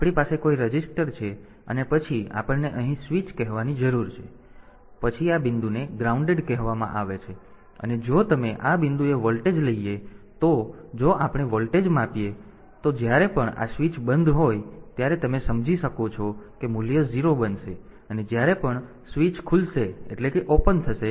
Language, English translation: Gujarati, So, we have got some register and then we have got say switch here, and then this point is say grounded, and if you if we measure the voltage if we take the voltage at this point then, whenever this switch is closed you can understand that the value will become 0 and whenever the switch is open the value will become 1